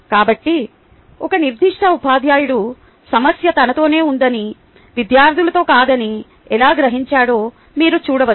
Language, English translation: Telugu, so you can see how a particular teacher has come to realize that the problem was with him and not with the students